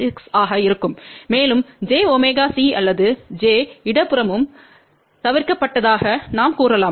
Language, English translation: Tamil, 36 and we can say that j omega C or j is omitted from both the side